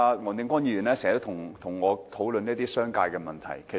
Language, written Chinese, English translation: Cantonese, 黃定光議員經常和我討論商界問題。, Mr WONG Ting - kwong often discusses with me issues relating to the business sector